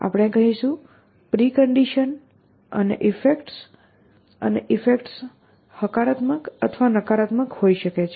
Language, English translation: Gujarati, We will say preconditions and effects and effects can be positive or negative